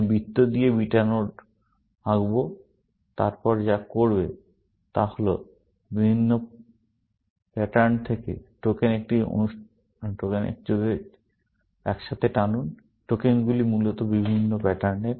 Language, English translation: Bengali, I will draw the beta notes with the circle, and what they do is; pull together, tokens from different patterns; tokens, which are of different patterns, essentially